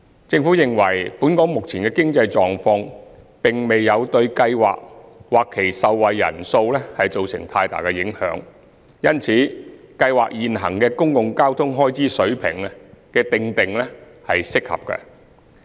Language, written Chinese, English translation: Cantonese, 政府認為，本港目前的經濟狀況並未對計劃或其受惠人數造成太大影響，因此計劃現行的公共交通開支水平的訂定是適合的。, The Government believes that the current local economic situation has not impacted much on the Scheme and the number of beneficiaries . Hence the stipulation of the existing level of public transport expenses of the Scheme is appropriate